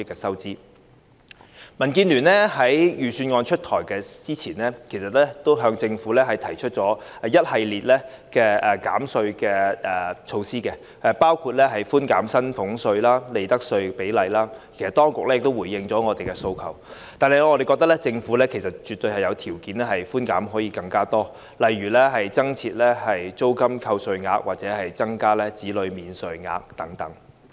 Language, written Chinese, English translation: Cantonese, 民主建港協進聯盟在預算案公布前，其實已向政府提出一系列減稅建議，包括寬減薪俸稅及利得稅的比率，當局亦已回應我們的訴求，但我們認為政府絕對有條件提供更多寬免，例如增設租金扣稅額或增加子女免稅額等。, As a matter of fact the Democratic Alliance for the Betterment and Progress of Hong Kong DAB had prior to the presentation of the Budget put forward to the Government a series of suggestions on tax reductions including the percentage rate of concession on salaries tax and profits tax and the authorities had also addressed our demands . That said we consider that the Government is definitely in a position to provide more concessions such as introducing a tax allowance for rental expenditure or increasing the child allowance etc